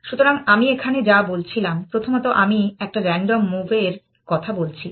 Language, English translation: Bengali, So, what I was saying here, that first of all I am talking about a random move